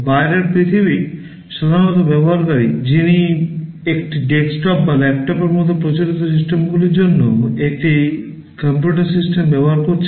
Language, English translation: Bengali, The outside world is typically the user who is using a computer system for conventional systems like a desktop or a laptop